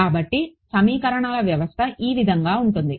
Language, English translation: Telugu, So, the system of equations comes from